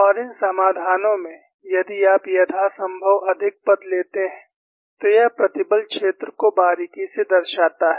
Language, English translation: Hindi, And in these solutions, if you take as many terms as possible, it closely models the stress field